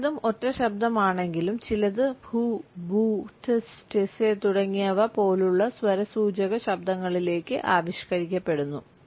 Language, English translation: Malayalam, While most are single, we find that some are articulated into phenome like sounds such as pooh, booh, tz tz etcetera